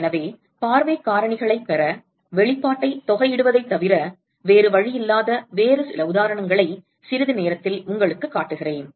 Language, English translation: Tamil, So, I will show you some other example in a short while where there is no other way other than to integrate the expression to get the view factors